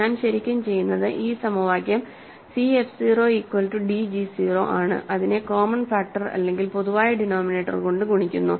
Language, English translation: Malayalam, So, what I am really doing is I am looking at this equation c f 0 equal to d g 0 and by multiplying by some common factor, common denominator I can write these clear denominators